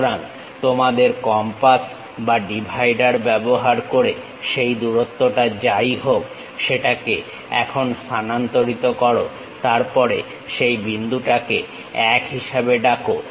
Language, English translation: Bengali, So, use your compass or divider whatever that length transfer that length to here, then call that point as 1